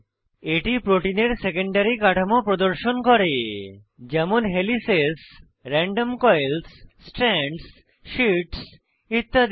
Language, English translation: Bengali, This display shows the secondary structure of protein as helices, random coils, strands, sheets etc